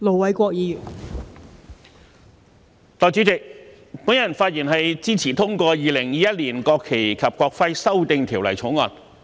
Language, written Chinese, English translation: Cantonese, 代理主席，本人發言支持通過《2021年國旗及國徽條例草案》。, Deputy President I rise to speak in support of the passage of the National Flag and National Emblem Amendment Bill 2021 the Bill